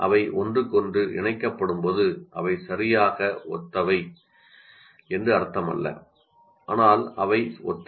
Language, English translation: Tamil, When they're connected to each other, it doesn't mean they're exactly identical